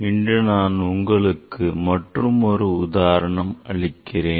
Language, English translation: Tamil, So, today I will give another example